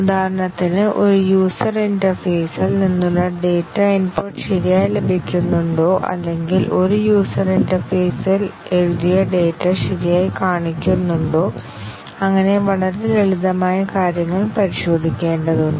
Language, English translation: Malayalam, For example, whether data input from a user interface is correctly received or whether the data written by to a user interface is correctly shown and so on that kind of very simple things need to be tested